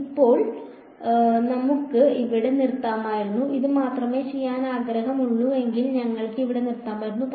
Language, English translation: Malayalam, Now, we could have stopped right here; if this is all we wanted to do we could have stopped right here